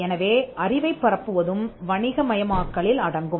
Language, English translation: Tamil, So, dissemination is also commercialization